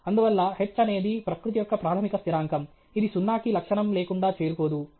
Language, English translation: Telugu, Therefore, h is a fundamental constant of nature, which cannot asymptotically approach zero; it is 6